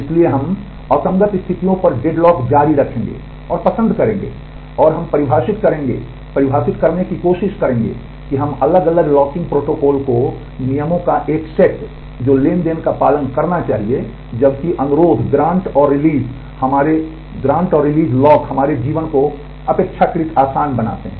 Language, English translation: Hindi, So, we will continue and prefer deadlocks over inconsistent states and, we will define we will try to define different locking protocols a set of rules that the transactions should follow, while the request and release locks to make our life relatively easier